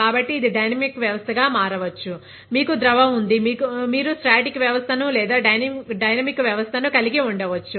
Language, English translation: Telugu, So, it can be, it can become a dynamic system, you have a liquid; you can either have a static system or a dynamic system